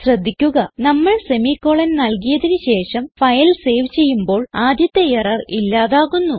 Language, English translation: Malayalam, notice that once we add the semi colon and save the file, the first error is gone